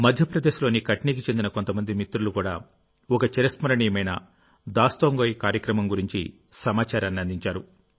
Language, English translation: Telugu, Some friends from Katni, Madhya Pradesh have conveyed information on a memorable Dastangoi, storytelling programme